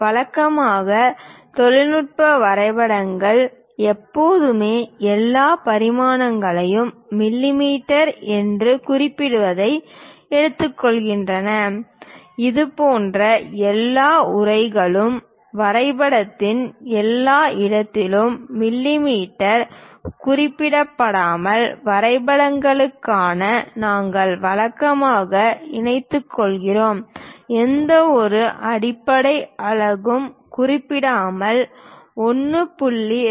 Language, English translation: Tamil, Usually, technical drawings always consist of it takes mentioning all dimensions are in mm, such kind of text we usually incorporate for drawings without ah mentioning mm everywhere of the drawing, we just represent the numbers like 1